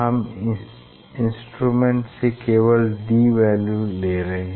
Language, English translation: Hindi, only in instrument is giving this d value